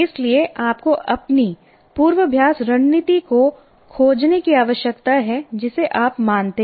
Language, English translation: Hindi, So you have to find what you consider your rehearsal strategy